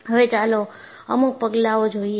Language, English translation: Gujarati, Now, let us look at the steps